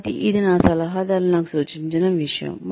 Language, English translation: Telugu, So, this is something that had been suggested to me, by my mentors